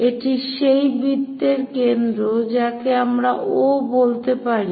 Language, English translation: Bengali, So, this is center of that circle call O